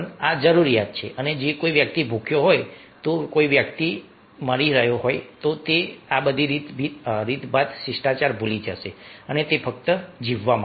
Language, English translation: Gujarati, if a person is hungry, if a person is dying, then he will forget all these manners, etiquette manners, and he will just want to survive